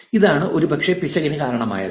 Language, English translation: Malayalam, This is probably what caused the error